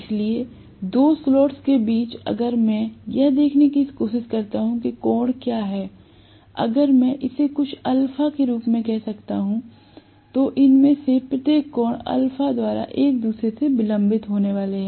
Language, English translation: Hindi, So, between the two adjacent slots if I try to see what is the angle, if I may call this as some alpha, each of these are going to be delayed from each other by an angle alpha